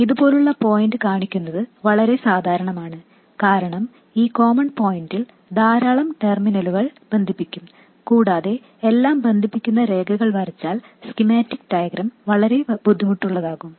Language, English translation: Malayalam, It's very common to show points like this because lots of terminals will be connected to this common point and the schematic diagram will look very messy if we draw lines connecting everything